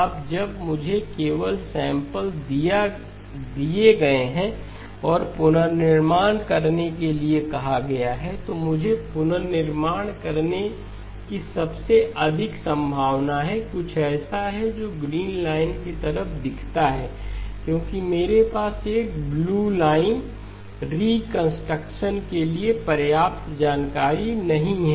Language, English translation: Hindi, Now when I am given only the samples and asked to reconstruct, what I am most likely to reconstruct is something that looks like the green line because I do not have enough information to reconstruct a blue line